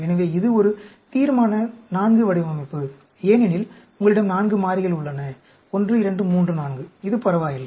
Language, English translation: Tamil, So, this is a Resolution IV design, because you have 4 variables; 1, 2, 3, 4; this is ok